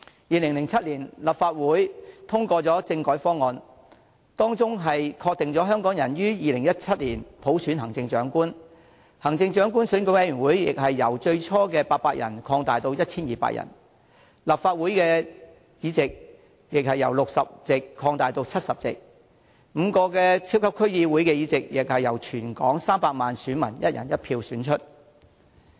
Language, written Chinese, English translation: Cantonese, 2007年立法會通過的政改方案，當中確定香港可於2017年普選行政長官，行政長官選舉委員會亦由最初的800人擴大至 1,200 人，立法會議席由60席擴大至70席 ，5 個超級區議會議席亦由全港300萬選民以"一人一票"選出。, The constitutional reform package passed in the Legislative Council in 2007 confirmed that Hong Kong might implement universal suffrage for the Chief Executive in 2017 while the number of members of the Election Committee would increase from the original 800 to 1 200 and the number of seats in the Legislative Council would increase from 60 to 70 in which 5 super District Council seats would be elected by 3 million voters in the territory on a one person one vote basis